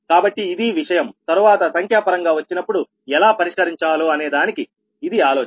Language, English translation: Telugu, so this is the idea that how to solve it later, when we will take numerical so we will see that right